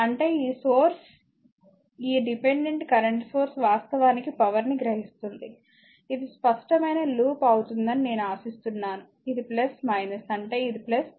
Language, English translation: Telugu, That means, this source this dependent current source actually absorbing power I hope you are understanding will be clear loop this is plus minus; that means, this is plus, this is minus